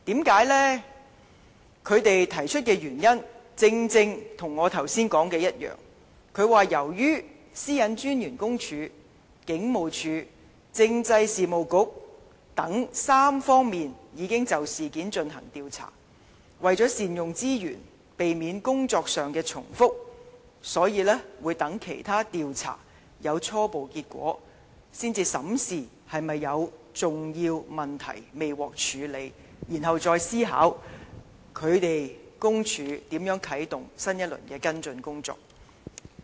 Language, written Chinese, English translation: Cantonese, 他們提出的原因，正正與我剛才說的一樣，由於私隱專員公署、警務處和政制及內地事務局等3方面已經就事件進行調查，為了善用資源，避免工作上的重複，所以待其他調查有初步結果，才審視是否有重要問題未獲處理，然後再思考公署如何啟動新一輪的跟進工作。, They are the same as those I put forth just now as the Office of the PCPD the Police and the Constitutional and Mainland Affairs Bureau have all commenced an investigation into the incident in order to make good use of resources and avoid duplication of efforts she has decided to wait for the preliminary results of those investigations . Afterwards she will review whether there are important issues that have not been addressed and then consider how the office will follow up the matter